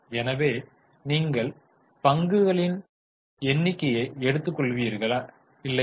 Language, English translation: Tamil, So it is dividend upon, will you take number of shares